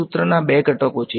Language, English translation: Gujarati, What are the two ingredients of the formula